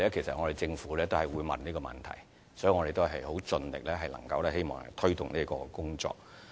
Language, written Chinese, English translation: Cantonese, 政府同樣也會問同一個問題，所以我們會盡力推動有關工作。, Actually the Government will also ask the same question . We will therefore strive to take forward the relevant work